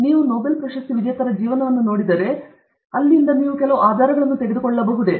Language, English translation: Kannada, If you look at the lives of Nobel Laureates can we draw some inferences